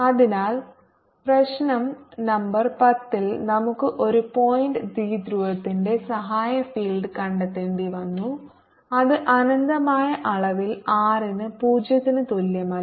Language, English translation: Malayalam, so in problem number ten we had to find out the auxiliary field h of a point dipole which is of infinite extent at r, not equal to zero